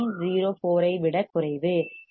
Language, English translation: Tamil, 04 is less than 0